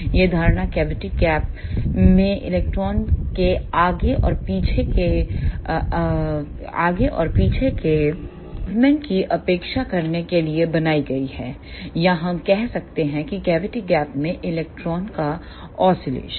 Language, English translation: Hindi, This assumption is made to neglect the back and forth movement of electron in the cavity gap or we can say oscillation of the electron in the cavity gap